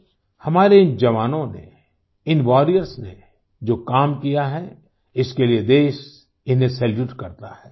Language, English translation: Hindi, Friends, the nation salutes these soldiers of ours, these warriors of ours for the work that they have done